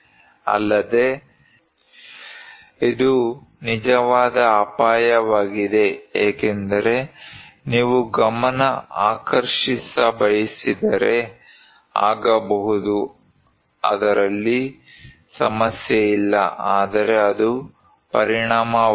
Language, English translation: Kannada, Also, this is actual danger because if you want to be flamboyant, you can be, no problem but that is the consequence